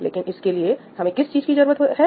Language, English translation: Hindi, But what does this require, now